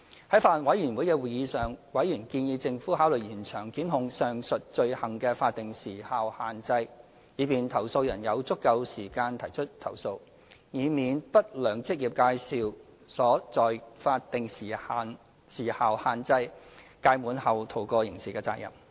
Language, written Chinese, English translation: Cantonese, 在法案委員會的會議上，委員建議政府考慮延長檢控上述罪行的法定時效限制，以便投訴人有足夠時間提出投訴，以免不良職業介紹所在法定時效限制屆滿後逃過刑事責任。, At the meetings of the Bills Committee Members suggested that the Government should consider extending the statutory time limit for prosecution of the aforesaid offences so as to allow complainants sufficient time to file complaints and pre - empt the situation where unscrupulous employment agencies could escape from criminal liability upon the expiry of the statutory time limit